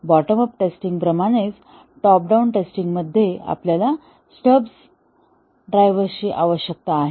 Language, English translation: Marathi, Just like in the bottom up testing, we need drivers, in top down testing, we need stubs